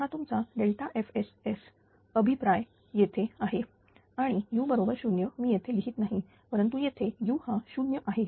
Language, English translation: Marathi, So, and this is your delta F S feedback is here and u is 0 I am not writing here, but here it is u 0 u is equal to ah your 0, right